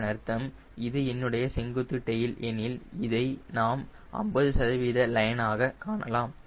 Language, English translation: Tamil, that is the meaning is, if this is my horizontal tail, we will find to the fifty percent line